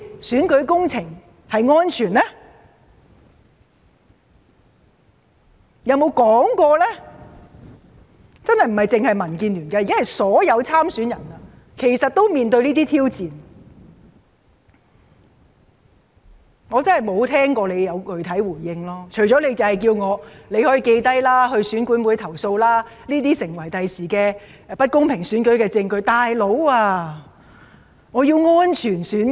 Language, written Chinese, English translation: Cantonese, 這真的並非只是民建聯的問題，現時是所有參選人也正面對這些挑戰，但我真的沒有聽過政府有作出任何具體回應，除了叫我們記錄下來向選管會投訴，指這些將會成為未來不公平選舉的證據外。, It is not the issue concerning DAB alone . Every candidate is facing the same challenge . But apart from telling us to record the relevant details and then lodge a complaint to EAC which will become the evidence of an unfair election in the future I have really not heard what specific response the Government has made in this regards